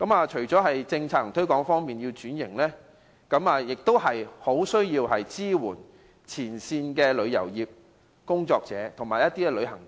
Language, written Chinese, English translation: Cantonese, 除了政策和推廣方面要作出改善外，當局也需要支援前線的旅遊業從業員和旅行團。, The authorities should in addition to improving policy formulation and promotional efforts give support to frontline tourism staff and package tours